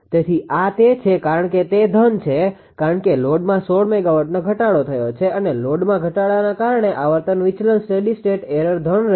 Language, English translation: Gujarati, So, this is that because it is positive because the load load has ah decreased 16 megawatt decrease because of load decrease the frequency deviation will be a steady state error will be positive